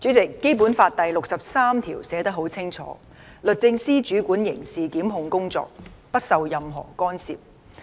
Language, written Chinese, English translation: Cantonese, 主席，《基本法》第六十三條寫得很清楚："律政司主管刑事檢控工作，不受任何干涉"。, President Article 63 of the Basic Law states clearly that The Department of Justice of the Hong Kong Special Administrative Region shall control criminal prosecutions free from any interference